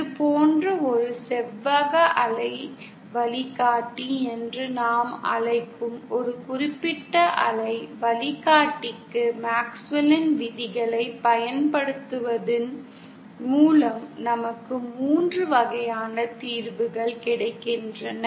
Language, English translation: Tamil, And by applying MaxwellÕs laws to a particular waveguide what we call a rectangular waveguide like this, we get 3 types of solutions